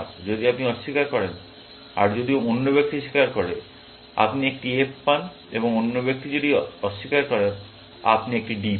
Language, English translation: Bengali, If you deny, if the other person confesses, you get an F, and the other person denies, you get a D